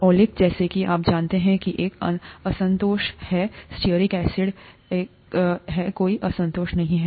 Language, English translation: Hindi, Oleic, as you know has one unsaturation, stearic acid, has no unsaturation